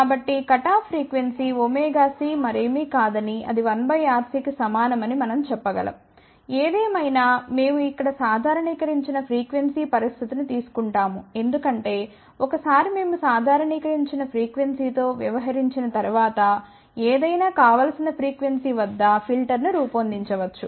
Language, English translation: Telugu, So, we can actually say that the cutoff frequency is nothing but omega c is equal to 1 divided by RC; however, we will take a normalized frequency situation here, because once we deal with the normalized frequency, then we can design a filter at any desired frequency